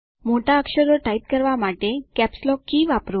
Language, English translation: Gujarati, Use the Caps Lock key to type capital letters